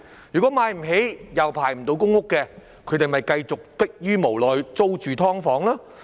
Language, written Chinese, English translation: Cantonese, 如果買不起，又未輪候到公屋，他們便要逼於無奈繼續租住"劏房"。, If they cannot afford a home and have not yet been allocated a public rental housing PRH unit they are left with no choice but to continue renting a subdivided flat to live in